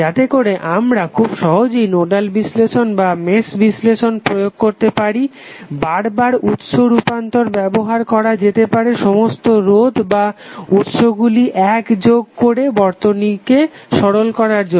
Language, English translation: Bengali, So that we can easily apply over nodal or mesh analysis, repeated source transformation can be used to simplify the circuit by allowing resistors and sources to eventually be combine